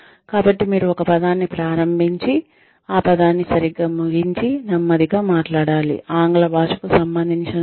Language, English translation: Telugu, So, if you start a word and you end the word properly and you talk slowly enough, as far as the English language is concerned